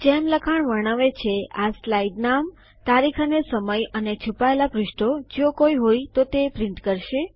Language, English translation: Gujarati, As the text describes, these will print the name of the slide, the date and time and hidden pages, if any